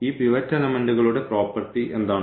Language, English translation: Malayalam, So, what is the property of this pivot element